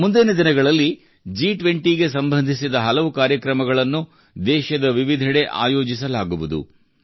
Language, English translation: Kannada, In the coming days, many programs related to G20 will be organized in different parts of the country